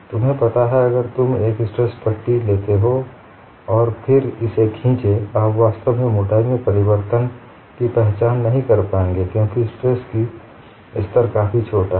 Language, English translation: Hindi, You know, if you take a tension strip and then pull it, you would really not recognize the change in thickness that much, because the stress levels are reasonably small; the strain is going to be much smaller